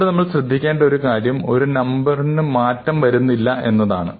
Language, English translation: Malayalam, Now, one thing to remember is that this number is not changing now a days